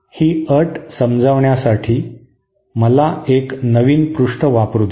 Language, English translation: Marathi, This condition let me use a fresh page for this